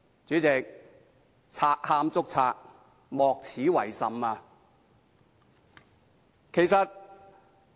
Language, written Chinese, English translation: Cantonese, 主席，賊喊捉賊，莫此為甚。, President this is the most distinguished example of a thief crying stop thief